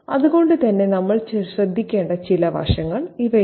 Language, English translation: Malayalam, So, these are some of the aspects that we need to pay attention to